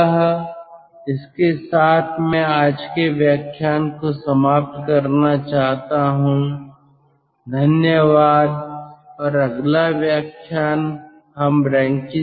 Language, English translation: Hindi, so with this i like to end todays lecture